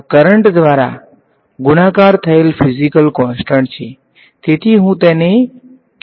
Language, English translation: Gujarati, This is physical constant multiplied by the current, so, I am going to call it Q